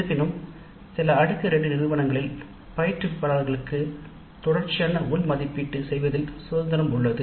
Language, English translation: Tamil, However, in some Tire 2 institutes also, instructors are given certain amount of freedom in the way the continuous internal evaluation is implemented